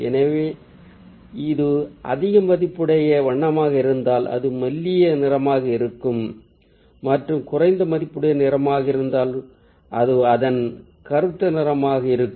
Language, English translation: Tamil, so ah, if it's a high value color, then its lighter ah, and if it's a low value color, so it's the darker shade of it